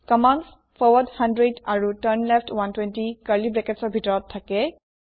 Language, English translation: Assamese, Here the commands forward 100 and turnleft 120 are within curly brackets